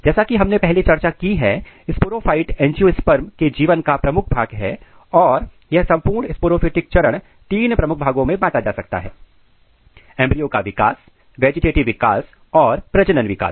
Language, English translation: Hindi, And as we discussed earlier a sporophyte is a dominant phase of the angiosperm life and this entire sporophyte can be divided into three major phases, the one is the embryo development, then vegetative development and reproductive development